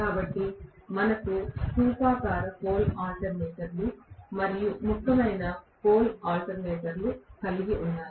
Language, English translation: Telugu, So, we have cylindrical pole alternators and salient pole alternators